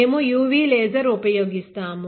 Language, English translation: Telugu, We use a laser, UV laser